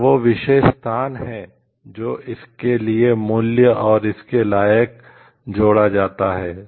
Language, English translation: Hindi, It is that particular location which is added value to it and worth to it